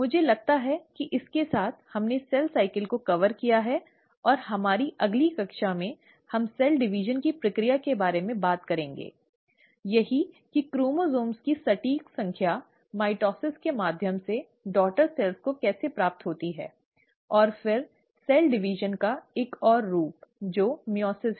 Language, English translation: Hindi, I think with that, we have covered cell cycle, and in our next class, we will actually talk about the process of cell division, that is how exact number of chromosomes get passed on to the daughter cells through mitosis, and then another form of cell division, which is meiosis